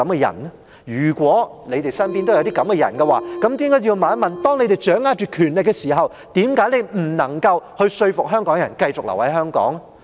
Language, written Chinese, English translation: Cantonese, 如果有，你們便要問一問，當你們掌握權力的時候，為何你們不能夠說服香港人繼續留在香港？, If you do you have to ask yourselves why given the powers in your hands you cannot persuade Hongkongers to remain in Hong Kong